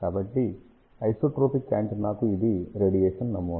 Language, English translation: Telugu, So, this is the radiation pattern for isotropic antenna